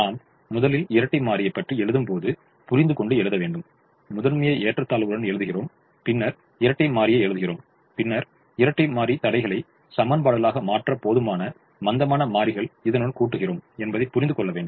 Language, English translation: Tamil, and we also have to understand that when we first write the dual, we safely write the retreat, the primal with the inequalities, and then write the dual and then add sufficient slack variables to convert the dual constraints to equations